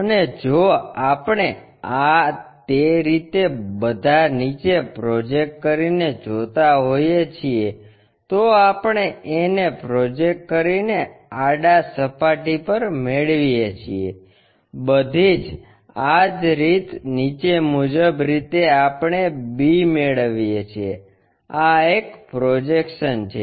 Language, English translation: Gujarati, And, if we are seeing by projecting this A all the way down, we get a on the horizontal plane by projecting B, all the way down vertically we get b, this is the projection one